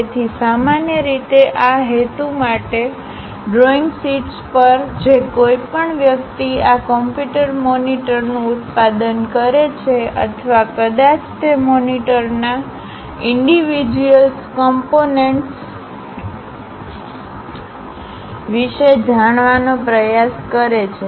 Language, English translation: Gujarati, So, for that purpose, usually on drawing sheets, whoever so manufacturing these computer monitors or perhaps trying to know about the individual components of that monitors